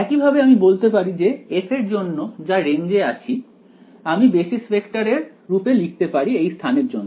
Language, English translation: Bengali, Similarly I can say that for f which is in the range I can write it in terms of the basis vectors for that space right